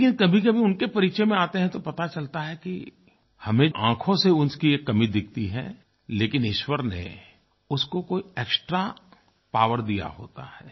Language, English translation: Hindi, However, at times when we interact with them, we realize that we see only the deficits with our eyes but God has certainly bestowed them with some extra powers